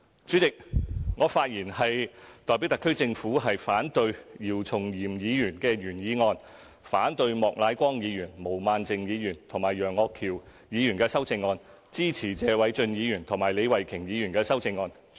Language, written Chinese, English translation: Cantonese, 主席，我發言代表特區政府反對姚松炎議員的原議案，反對莫乃光議員、毛孟靜議員和楊岳橋議員的修正案，支持謝偉俊議員和李慧琼議員的修正案。, President I speak on behalf of the SAR Government to oppose the original motion moved by Dr YIU Chung - yim and the amendments proposed by Mr Charles Peter MOK Ms Claudia MO and Mr Alvin YEUNG but I support the amendments proposed by Mr Paul TSE and Ms Starry LEE